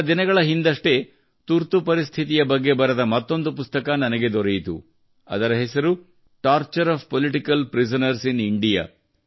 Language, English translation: Kannada, A few days ago I came across another book written on the Emergency, Torture of Political Prisoners in India